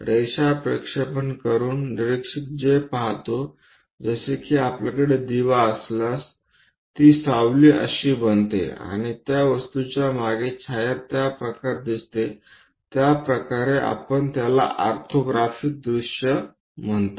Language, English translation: Marathi, Observer; whatever he sees by projecting lines is more like if you have a lamp, whatever the shadow it forms and precisely the shadow behind the object the way how it looks like that is what we call this orthographic views